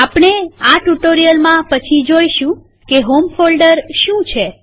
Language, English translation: Gujarati, We will see later in this tutorial what the home folder is